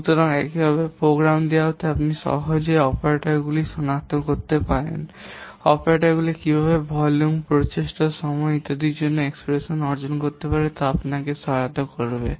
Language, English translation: Bengali, So, in this way given a program you can easily identify the operators and operands this will help you for what is derived in the expressions for this volume effort and and time, etc